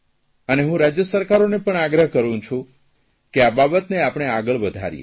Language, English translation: Gujarati, And I will request the state governments to take this forward